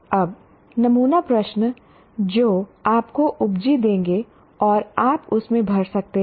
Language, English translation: Hindi, Now, again, sample questions means we'll give you stamps and you can fill in that